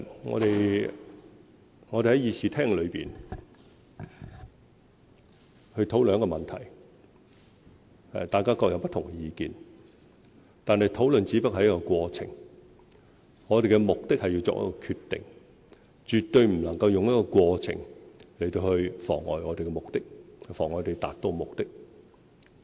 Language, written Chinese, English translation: Cantonese, 我們在議事廳內討論問題時，大家各有不同意見，但討論只不過是一個過程，我們的目的是要作出決定，絕對不能夠用過程來妨礙我們的目的、妨礙我們達到目的。, When we discuss issues in the Chamber we have different views . But discussion is merely a process and the ultimate purpose is to make a decision . We should never use a process to impede the purpose to prevent us from achieving the purpose